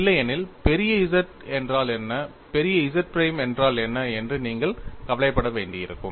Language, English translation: Tamil, ; Ootherwise, you will have to worry about what is capital ZZ and what is capital ZZ prime